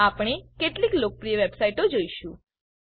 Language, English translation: Gujarati, We will see the few popular websites